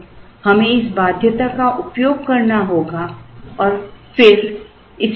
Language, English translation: Hindi, So, we have to use this constraint and then solve it again